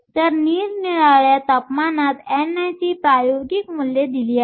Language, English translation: Marathi, So, the experimental values of n i at different temperatures are given